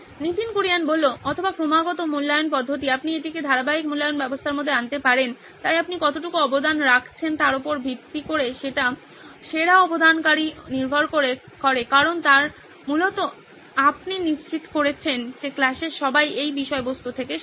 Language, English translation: Bengali, Or continuous evaluation system, you can bring this into the continuous evaluation system, so the best contributor are based on what how much you are contributing to this because you are essentially ensuring that everyone in class is learning out of this content